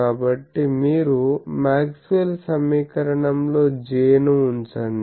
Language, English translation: Telugu, So, put J in the Maxwell’s equation you get this